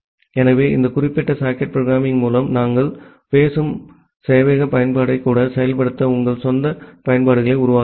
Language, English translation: Tamil, So, with this particular socket programming, you can develop your own applications you can even implement the chat server application that we are talking about